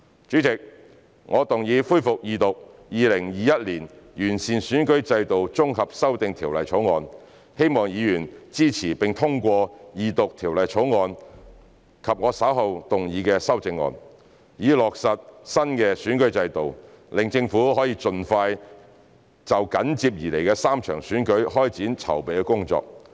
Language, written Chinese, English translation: Cantonese, 主席，我動議恢復二讀《2021年完善選舉制度條例草案》，希望議員支持並通過二讀《條例草案》及我稍後動議的修正案，以落實新選舉制度，讓政府盡快就緊接而來的3場選舉開展籌備工作。, President I move that the Second Reading of the Improving Electoral System Bill 2021 be resumed . I hope that Members will support and pass the Second Reading of the Bill and the amendments I will move later to implement the new electoral system and allow the Government to prepare for the three forthcoming elections as soon as possible